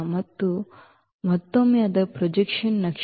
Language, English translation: Kannada, This again its a projection map